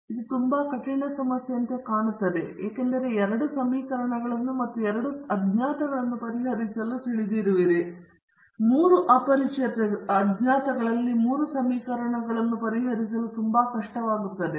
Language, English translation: Kannada, It looks like a very tough problem, because you are familiar with solving two equations and two unknowns and things like that even three equations in three unknowns becomes quite difficult to solve